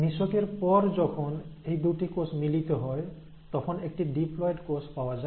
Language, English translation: Bengali, After fertilization, when these two cells fuse, you end up getting a diploid cell